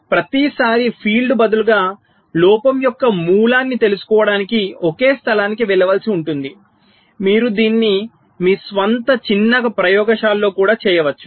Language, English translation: Telugu, so instead of every time there is a field will have to go to one place to find out the source of the fault, you can do it in your own small lab also